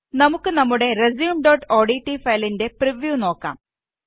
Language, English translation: Malayalam, You can see the preview of our resume.odt file